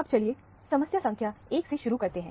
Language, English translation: Hindi, Now, let us start with problem number 1